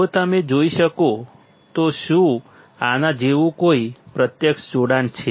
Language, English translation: Gujarati, If you can see, is there any physical connection like this